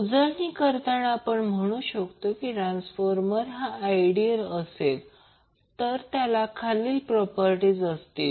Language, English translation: Marathi, So to summaries we can say the transformer is said to be ideal if it has the following properties